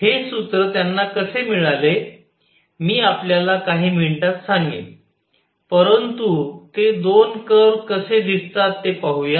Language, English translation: Marathi, How they got this formula, I will tell you in a few minutes, but let us see the two curves how do they look